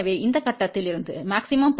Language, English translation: Tamil, So, from here maximum power got transferred